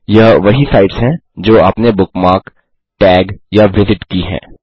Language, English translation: Hindi, * These are also the sites that youve bookmarked, tagged, and visited